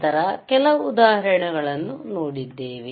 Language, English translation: Kannada, Then we have seen few examples